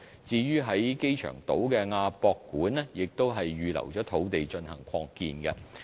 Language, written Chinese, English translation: Cantonese, 至於在機場島的亞洲國際博覽館亦已預留土地進行擴建。, As regards the AsiaWorld - Expo on the airport island land has also been reserved for its expansion